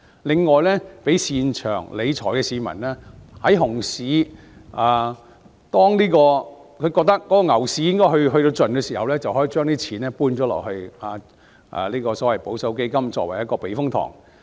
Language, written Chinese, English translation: Cantonese, 此外，亦讓擅長理財的市民感覺"牛市"到盡頭之際將資金轉移至保守基金，作為一個避風塘。, In addition those who are keen on financial management may transfer their money to conservative funds as a safe haven when they feel that the bull market is coming to an end